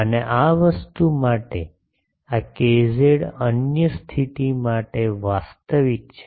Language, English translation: Gujarati, And for this thing, this k z is real for the other condition